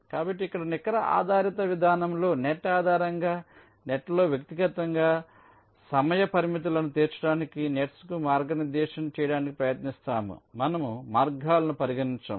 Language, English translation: Telugu, so in the net based approach here we try to route the nets to meet the timing constraints individually on a net by net basis